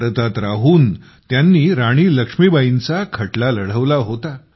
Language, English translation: Marathi, Staying in India, he fought Rani Laxmibai's case